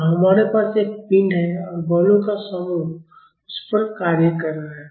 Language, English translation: Hindi, So, we have a body and set of forces are acting on it